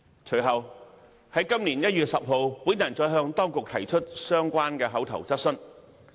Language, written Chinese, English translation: Cantonese, 隨後在今年1月10日，我再向當局提出相關的口頭質詢。, Subsequently on 10 January this year I further raised an associated oral question to the authorities